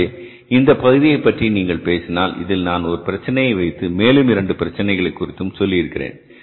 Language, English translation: Tamil, So here you see that if you talk about this part, in this part I have given you here one problem